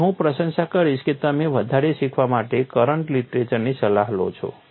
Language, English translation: Gujarati, So, I would appreciate that you consult the current literature to learn further